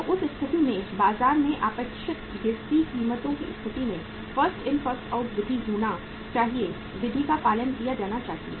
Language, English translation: Hindi, So in that situation, in the expected falling prices state of affairs in the market, First In First Out Method should be uh the method should be followed